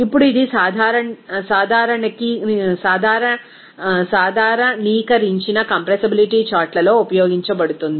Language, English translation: Telugu, Now, it is used in generalized compressibility charts